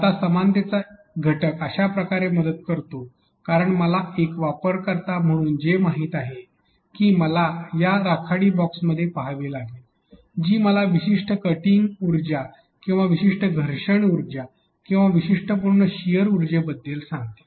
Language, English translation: Marathi, Now, this is how the similarity factor helps because then I know as a user that I have to look out of those gray boxes which will tell me about the specific cutting energy or the specific friction energy or the specifics shear energy